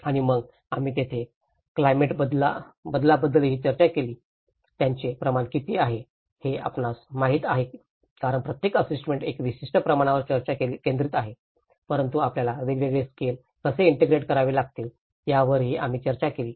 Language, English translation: Marathi, And then here we also discussed about the climate change, the scale of it you know how one because each assessment is focused on a particular scale but how we have to integrate different scales is also we did discussed